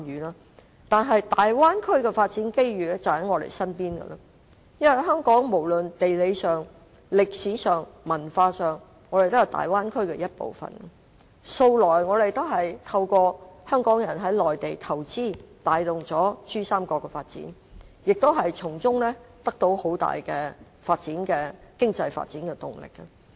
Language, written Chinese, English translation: Cantonese, 然而，大灣區的發展機遇就在我們身邊，因為無論地理、歷史、文化上，香港也是大灣區的一部分，向來也透過香港人在內地投資，帶動珠三角的發展，亦從中得到很大的經濟發展動力。, However opportunities arising from the development of the Bay Area are at our doorstep . Hong Kong is part of the Bay Area geographically historically and culturally . Investment by Hong Kong people on the Mainland has all along facilitated the development of the Pearl River Delta Region and as a result Hong Kong has gained huge momentum of economic development